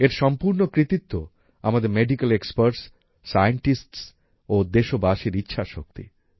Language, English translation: Bengali, Full credit for this goes to the willpower of our Medical Experts, Scientists and countrymen